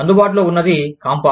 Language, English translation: Telugu, What was available was, Campa